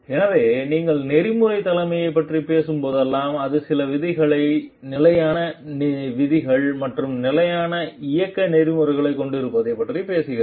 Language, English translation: Tamil, So, whenever you are talking of ethical leadership it talks of having certain norms, standard rules, standard operating processes